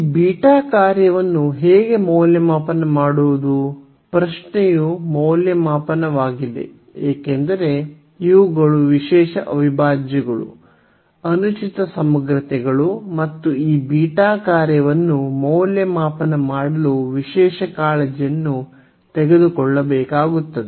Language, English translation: Kannada, And so, how to evaluate this beta function; the question is the evaluation because these are the special integrals, improper integrals and special care has to be taken to evaluate this beta function